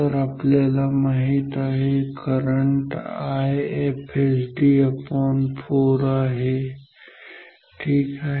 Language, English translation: Marathi, So, we know the current is I FSD by 4 ok